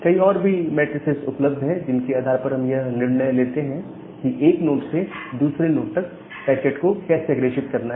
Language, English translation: Hindi, There are other various metrics which are available, based on which we decide that how to forward a packet from one node to another node